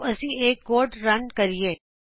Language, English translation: Punjabi, Lets now Run this code